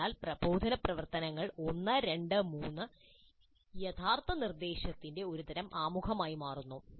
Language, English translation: Malayalam, So the instructional activities 1 2 3 form a kind of preamble to the actual instruction